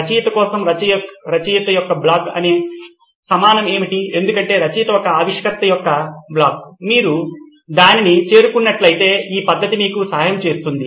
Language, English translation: Telugu, What is equivalent of a writer’s block for an author, for a writer is an inventor’s block if you have reached that then this method will help you